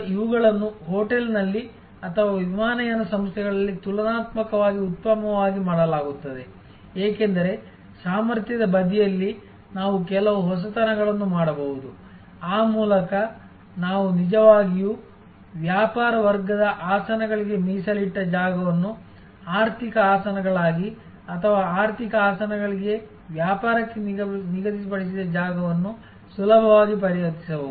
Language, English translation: Kannada, These are relatively well done in a hotel or on an airlines, because on the capacity side also we can do some innovation, whereby we can actually easily convert the space allocated for business class seats to economy seats or the space allocated for economy seats to business class seats depending on shifting demand